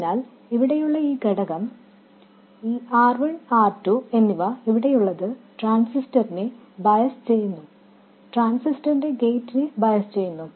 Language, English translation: Malayalam, So, this component here, remember this R1 and R2, these are there for biasing the transistor, biasing the gate of the transistor